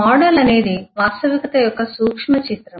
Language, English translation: Telugu, A model is a some miniature of a reality